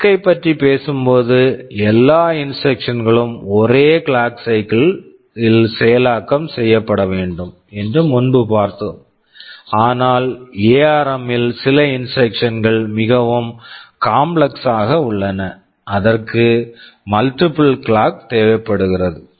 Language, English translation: Tamil, WSo, while talking of RISC, I said all instructions should be exhibited executed in a single clock cycle, but in ARM some of the instructions can be more complex, it can require multiple clocks such instructions are there